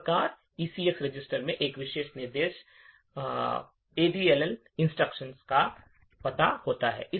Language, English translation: Hindi, Thus, the ECX register contains the address of this particular instruction, the addl instruction